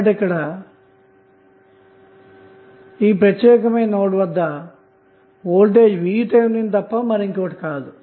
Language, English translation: Telugu, So in that case this particular voltage would be nothing but VTh